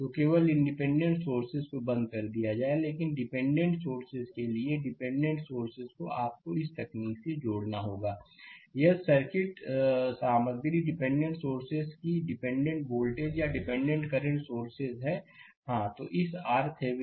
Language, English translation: Hindi, So, only independent sources will be turned off, but dependent sources for dependent sources you have to add out this technique; if circuit contents dependent sources that is dependent voltage or dependent current sources right; so, to get this R Thevenin